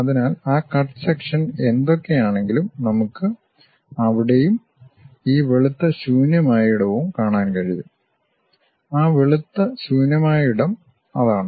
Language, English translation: Malayalam, So, whatever that cut section we have that we are able to see there and this white blank space, that white blank space is that